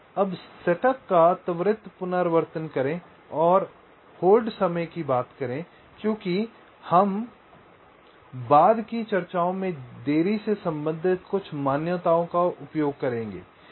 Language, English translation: Hindi, now let ah have a quick recap of the setup and hold time because we shall be using some of the delay related assumptions in our subsequent discussions